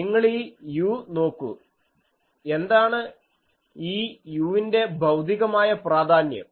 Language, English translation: Malayalam, The point is you see this u, what is the physical significance of this u